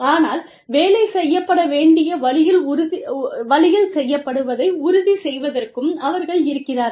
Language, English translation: Tamil, But, they are also there to ensure, that the work is done, the way it should be done